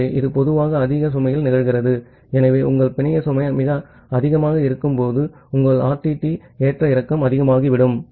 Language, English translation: Tamil, So, it happens normally at high load so when your network load is very high your RTT fluctuation will become high